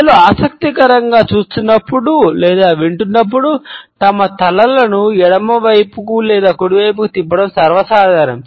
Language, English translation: Telugu, It is common for people to tilt their heads either towards the left or the right hand side, while they are watching something of interest or they are listening to something interesting